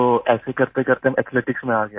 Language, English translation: Hindi, So gradually, I got into athletics